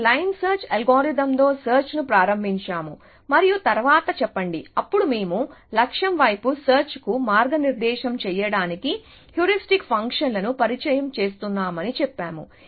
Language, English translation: Telugu, We started search with line search algorithm and then say, then we said we are introducing heuristic functions to guide search towards the goal